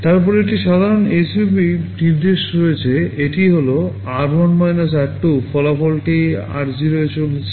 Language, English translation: Bengali, Then there is a normal SUB instruction this is r1 – r2, result is going into r0